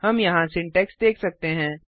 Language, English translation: Hindi, We can see the syntax here